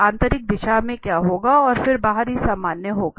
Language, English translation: Hindi, So what one will be in the inner direction and then will be the outer normal